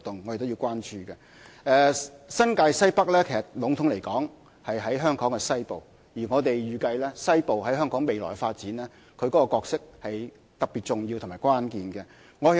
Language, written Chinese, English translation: Cantonese, 籠統來說，新界西北在香港西部，而我們預計西部在香港未來發展將擔當特別重要和關鍵的角色。, In general terms NWNT is located in the western part of Hong Kong . And we expect a particularly important and pivotal role to be played by the western part in the future development of the territory